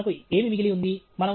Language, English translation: Telugu, So, what do we have remaining